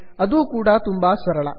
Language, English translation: Kannada, This is simple too